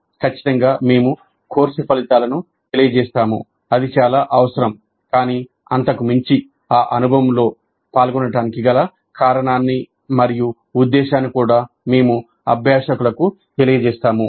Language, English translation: Telugu, So certainly we communicate course outcomes that is very essential but beyond that we also inform the learners the reason for and purpose of engaging in that experience